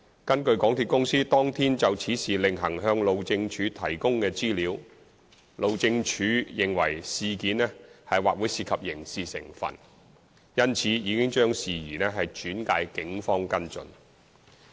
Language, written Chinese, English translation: Cantonese, 根據港鐵公司當天就此事另行向路政署提供的資料，路政署認為事情或會涉及刑事成分，因此已將事宜轉介警方跟進。, According to the information provided by MTRCL separately to the Highways Department HyD HyD considers that the matter may involve criminality and HyD has therefore referred the matter to the Police for follow - up action